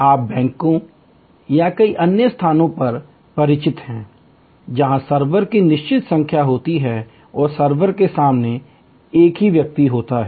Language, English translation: Hindi, You are familiar at banks or many other places, where there are fixed number of servers and there is only one person in front of the server